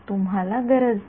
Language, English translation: Marathi, You need not